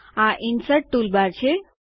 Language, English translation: Gujarati, This is the Insert toolbar